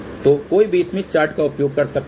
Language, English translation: Hindi, So, one can actually use Smith Chart